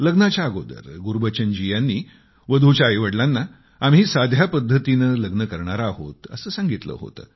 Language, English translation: Marathi, Gurbachan Singh ji had told the bride's parents that the marriage would be performed in a solemn manner